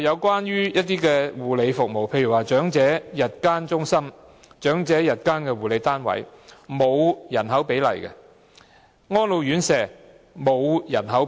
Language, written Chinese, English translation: Cantonese, 此外，其他護理服務，例如長者日間中心、長者日間護理單位、安老院舍等同樣沒有訂下人口比例。, Likewise in respect of other care services such as day care centresunits for the elderly and residential care homes for the elderly no ratio has been set for their provision in relation to population size